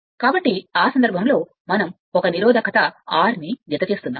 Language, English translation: Telugu, So, in that case we are adding 1 resistance R right